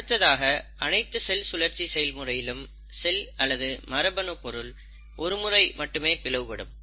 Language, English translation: Tamil, The second thing is in every cell cycle, the cell undergoes cell division or division of the genetic material only once